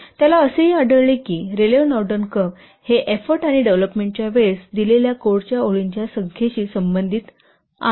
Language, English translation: Marathi, He also found that the he also found that the Raleigh Narden curve it relates the number of delivered lines of code to the effort and development time